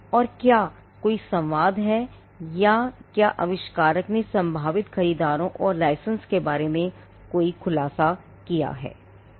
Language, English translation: Hindi, And whether there are any dialogue or whether the inventor had made any disclosure to prospective buyers and licenses